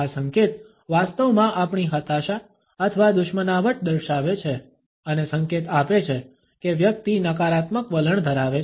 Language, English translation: Gujarati, This gesture actually indicates our frustration or hostility and signals that the person is holding a negative attitude